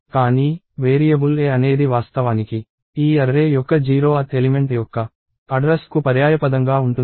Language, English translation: Telugu, But, the variable a is actually just a synonym for the address of the 0th element of this array